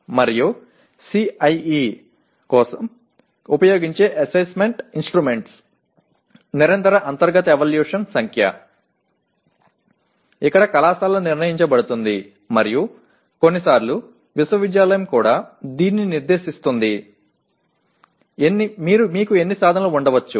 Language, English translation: Telugu, And the number of Assessment Instruments used for CIE that is Continuous Internal Evaluation where it is decided by the college and sometimes even the university specifies even this, how many instruments you can have